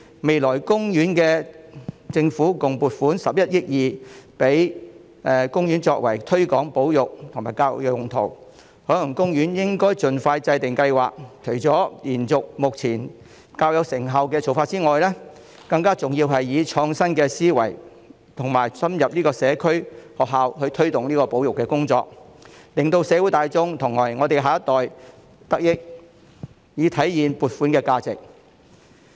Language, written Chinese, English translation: Cantonese, 第四，政府未來會撥款共11億 2,000 萬元給海洋公園推廣保育和作教育用途，海洋公園應盡快制訂計劃，除了延續目前較有成效的做法外，更重要的是以創新思維，深入社區和學校推動保育工作，讓社會大眾和我們的下一代得益，以體現撥款的價值。, Fourth the Government will allocate a total of 1.12 billion to the Ocean Park for the promotion of conservation and education . The Ocean Park should formulate plans as soon as possible . Apart from continuing the effective current practices more importantly innovative thinking should be adopted in promoting conservation in the community and schools so as to benefit our next generation and achieve value for money